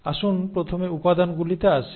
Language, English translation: Bengali, So let us come to the ingredients first